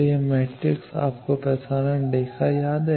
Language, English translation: Hindi, So, this is the S matrix you remember transmission line